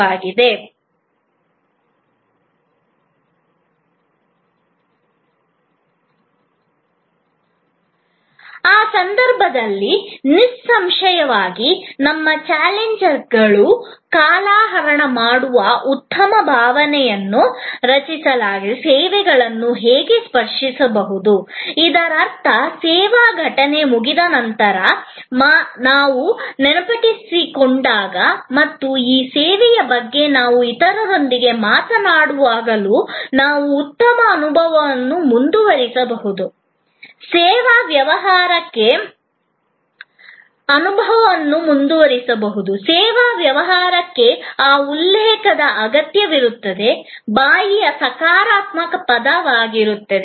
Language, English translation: Kannada, In that case; obviously our challengers how to tangibles services to co create lingering good feeling; that means, we can continue to feel good, even after the service event is over and when we recall and when we talk to others about that service, the service business absolutely needs that referral; that positive word of mouth